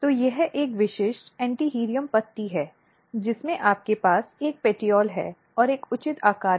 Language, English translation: Hindi, So, this is a typical Antirrhinum leaf you have a petiole and then you have the structure and there is a proper shape